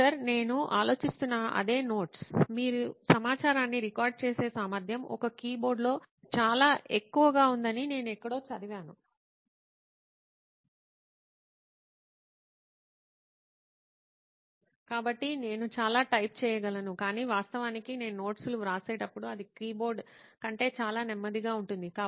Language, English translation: Telugu, The same note I am thinking, I have read somewhere also that you are efficiency of recording information okay is extremely high in a keyboard, so I can type so many but actually when I write the notes it is probably a lot slower than an keyboard